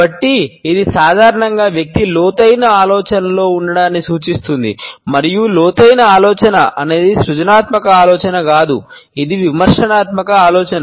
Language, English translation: Telugu, So, it normally indicates the person is in deep thought and is deep thought is not a creative thinking rather it is a critical thinking